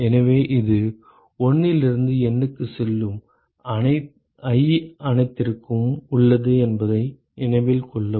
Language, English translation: Tamil, So, note that this is for all i going from 1 to N